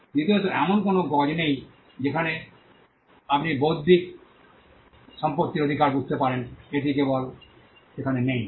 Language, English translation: Bengali, Secondly, there is no yardstick by which you can understand intellectual property rights, it is simply not there